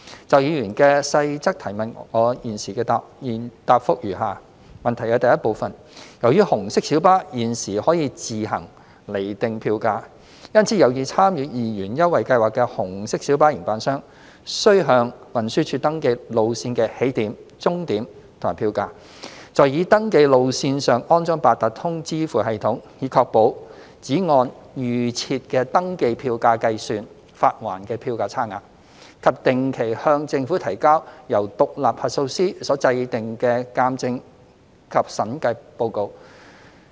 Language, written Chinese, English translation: Cantonese, 就議員的細項質詢，我現答覆如下：一由於紅色小巴現時可以自行釐定票價，因此有意參與二元優惠計劃的紅色小巴營辦商，須向運輸署登記路線的起點、終點及票價；在已登記路線上安裝八達通支付系統，以確保只按預設的登記票價計算發還的票價差額；以及定期向政府提交由獨立核數師所制訂的鑒證及審計報告。, My reply to various parts of the Members question is as follows 1 As the fare levels of RMB are currently decided by the operators on their own RMB operators interested in joining the 2 Scheme must register with the Transport Department TD the origin and destination of the routes and fares install an Octopus payment system on admitted routes to ensure adherence to preset registered fares for calculating reimbursement of differential fares and submit to the Government on a regular basis assurance and audit reports prepared by an independent auditor